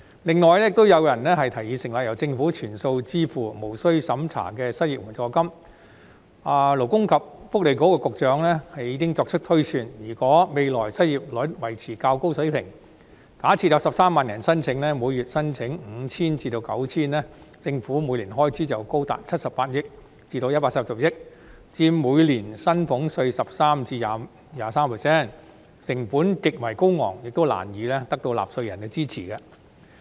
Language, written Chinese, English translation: Cantonese, 此外，亦有人提議成立由政府全數支付、無須審查的失業援助金，勞工及福利局局長已經作出推算，如果未來失業率維持較高水平，假設有13萬人申請，每月領取 5,000 元或 9,000 元，政府每年的開支便高達78億元或140億元，佔每年薪俸稅的 13% 或 23%， 成本極為高昂，亦難以得到納稅人的支持。, What is more some people have also proposed the establishment of a non - means - tested unemployment assistance to be fully borne by the Government . The Secretary for Labour and Welfare has already made some projections If the unemployment rate remains at a relatively high level in the future assuming that 130 000 persons will apply for the assistance and receive 5,000 or 9,000 per month the Government will incur an annual expenditure as high as 7.8 billion or 14 billion which is equivalent to 13 % or 23 % of the salaries tax received annually . This is extremely costly and is hardly supported by taxpayers